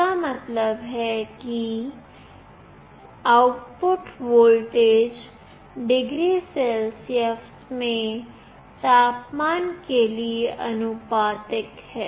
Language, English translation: Hindi, It means that the output voltage is linearly proportional to the temperature in degree Celsius